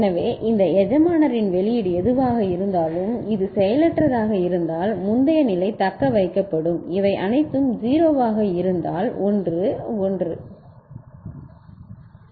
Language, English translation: Tamil, So, the output of this master whatever was there this inactive means the previous state will be retained this these are all 0 means 1 1